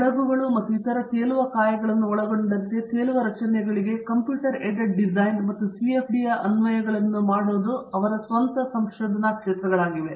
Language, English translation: Kannada, His own areas of research are Computer Aided Design and Application of CFD to floating structures including ships and other floating bodies